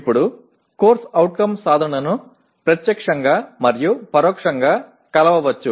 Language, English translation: Telugu, Now the CO attainment can be measured either directly and indirectly